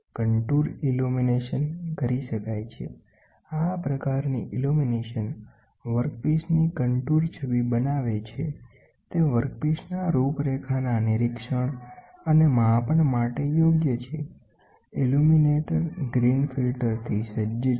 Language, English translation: Gujarati, Contour illumination can be done, this type of illumination generates the contour image of the workpiece and is suited for measurement and inspection of workpiece contours